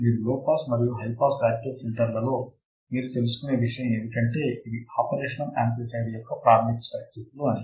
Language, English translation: Telugu, The only thing you would find in low pass and high pass active filters is that these are very basic circuits of the operational amplifier